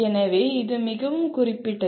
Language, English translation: Tamil, So it is very specific